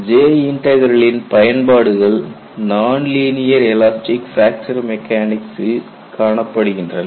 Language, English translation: Tamil, J Integral finds application in linear elastic fracture mechanics